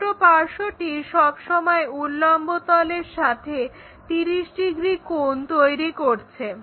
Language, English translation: Bengali, The small side is always making 30 degrees with the vertical plane